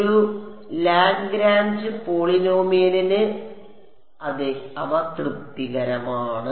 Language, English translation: Malayalam, For a Lagrange polynomial, yes, they are satisfying